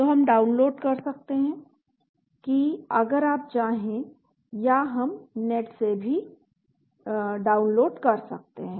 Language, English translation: Hindi, So we can download that if you want or we can download from the net also